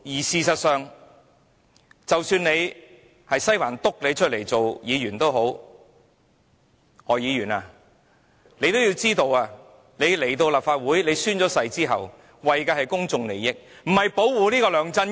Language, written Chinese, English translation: Cantonese, 事實上，即使是西環點名力捧的議員——例如何議員——亦要知道，他們在立法會宣誓後，便應該為公眾利益服務，而非保護梁振英。, As a matter of fact even the Members handpicked by Western District like Dr HO should also know that after they have taken the oath in the Legislative Council they should serve the public rather than defend LEUNG Chun - ying